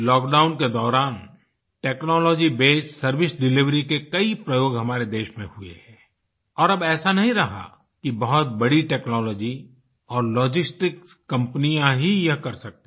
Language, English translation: Hindi, During the lockdown, many instances of technology based service delivery were explored in the country and it is not that only the big technology and logistic companies are capable of the same